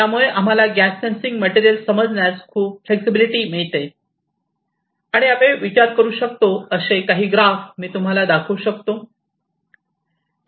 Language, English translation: Marathi, So, this gives us lot of flexibility to understand this gas sensing material and I will show you some of the graphs that typical graphs which we can think of